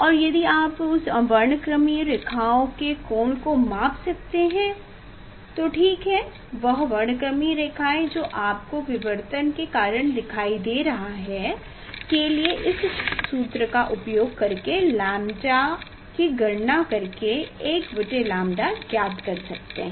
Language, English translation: Hindi, And if you can measure the angle of that those spectral lines ok, that is spectral lines you will see because of the diffraction and using this formula you can find out the 1 by lambda